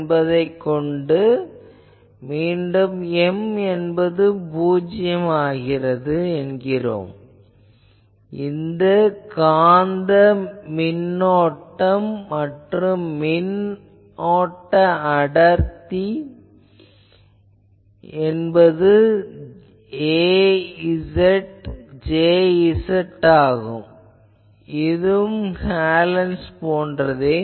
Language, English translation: Tamil, Now, again we can say that M is 0 the magnetic current and current density is given by this a z, J z, so same as Hallen’s thing